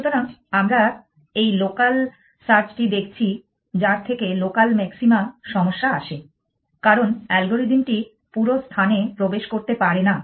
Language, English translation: Bengali, So, we are looking at this local search and your seen that which leads us to a problem of local maximum because the algorithm does not have the excess to the entire things space